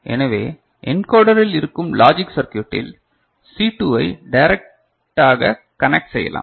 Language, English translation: Tamil, So, in the encoder within it the logic circuit that we can have is just C2 is connected directly 2 to the power 1